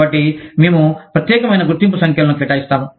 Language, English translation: Telugu, So, we assign, unique identification numbers